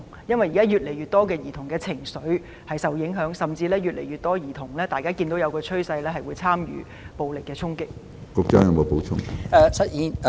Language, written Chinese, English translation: Cantonese, 因為現時有越來越多兒童的情緒受到影響，大家亦看到一個趨勢，有越來越多兒童參與暴力衝擊。, As we can see more and more children are emotionally affected now and there is also a trend that more and more children are taking part in violent attacks